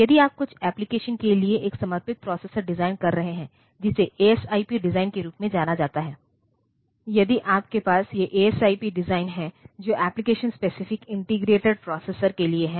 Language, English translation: Hindi, So, you can and if you are designing a dedicated processor for some application, which are known as the ASIP design; if you are having these ASIP designs which stands for Application Specific Integrated Processors